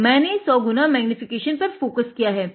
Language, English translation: Hindi, So, I have focused it 100 x magnification